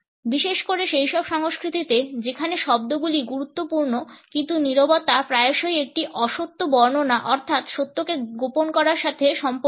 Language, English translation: Bengali, Particularly in those cultures where words are important silence is often related with the concealment of truth passing on a fib